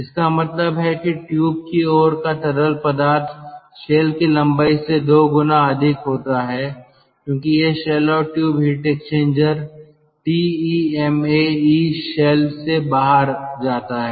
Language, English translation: Hindi, it means that the tube side fluid traverses the shell length two times before it goes out of the shell and tube heat exchanger